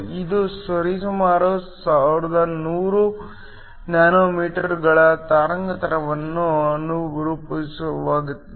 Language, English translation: Kannada, This corresponds to a wavelength of approximately 1100 nanometers